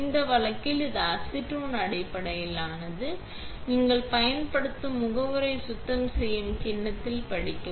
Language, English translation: Tamil, In this case, it is acetone based, so read on the bowl set which cleaning agent you are using